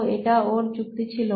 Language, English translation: Bengali, So that was his reasoning